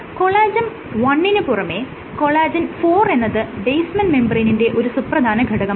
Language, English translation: Malayalam, However, apart from collagen one you can have collagen IV which is a main in a structural component of the basement membrane